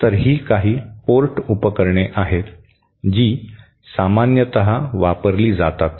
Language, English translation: Marathi, So, those are some of the one port devices that are commonly used